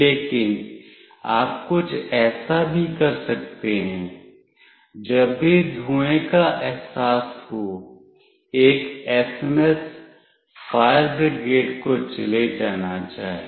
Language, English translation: Hindi, But you can also do something like this; whenever smoke is sensed an SMS should go to the fire brigade